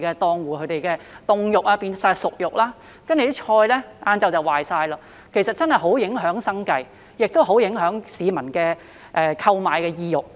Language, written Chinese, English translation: Cantonese, 檔戶的凍肉全部變成熟肉，蔬菜到下午便全部壞掉，這真的很影響生計和市民的購買意欲。, The stallholders frozen meat has all defrosted and the vegetables have all gone bad by the afternoon which greatly affects stallholders livelihood and the publics desire to buy